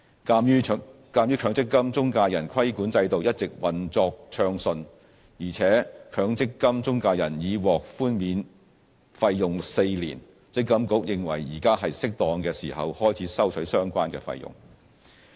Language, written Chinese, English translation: Cantonese, 鑒於強積金中介人規管制度一直運作暢順，而且強積金中介人已獲寬免費用4年，積金局認為現在是適當時候開始收取相關費用。, As the regulatory regime for MPF intermediaries has been implemented smoothly and MPF intermediaries have already enjoyed a fee holiday for four years MPFA considers it appropriate to start charging the relevant fees